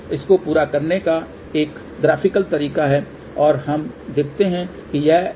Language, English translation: Hindi, So, there is a graphical way of doing the whole thing and let us see what is that